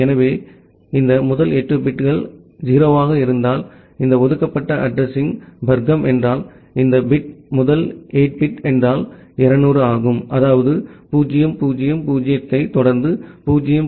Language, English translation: Tamil, So, if this first 8 bits are 0’s those this reserved class of address then if this bit is a first 8 bit is 200; that means, 0000 followed by 0010